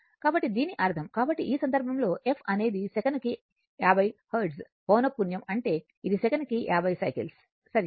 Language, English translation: Telugu, So that means, so in this case, the f is the number of cycles per second 50 hertz frequency means it is 50 cycles per second, right